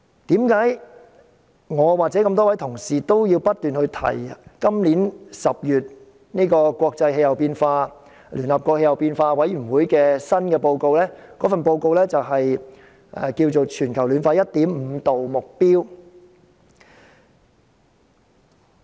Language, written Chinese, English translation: Cantonese, 為何我與諸位同事不斷提及今年10月聯合國政府間氣候變化專門委員會公布的報告：《全球升溫 1.5°C 特別報告》？, Why are the colleagues and I keep on mentioning the Special Report on Global Warming of 1.5°C the Report published by the United Nations Intergovernmental Panel on Climate Change in October this year?